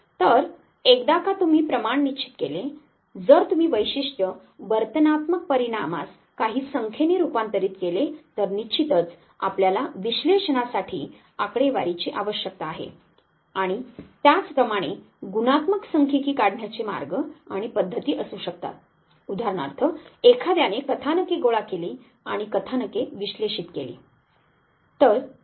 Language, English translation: Marathi, So, ones you quantify if you convert a trait, If you convert behavioral outcome into some numbers then of course, you need the statistics for analysis and similarly there could be ways and means of extracting qualitative data say for instance talking to somebody collecting the narratives and analyzing the narratives